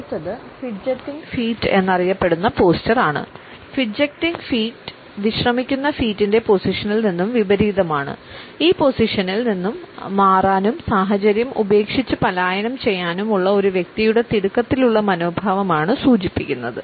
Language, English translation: Malayalam, Sometimes we also come across what is known as fidgeting feet; fidgeting feet are opposite of the relaxed feet position and they suggest the hurried attitude of a person to move away from this position, to leave the situation and flee